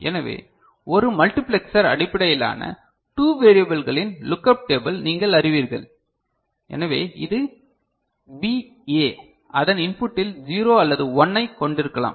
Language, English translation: Tamil, So, 1 multiplexer based you know lookup table of 2 variables so, this is BA right can have either 0 or 1 at its input ok